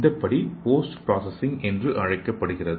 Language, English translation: Tamil, So this step is called as post processing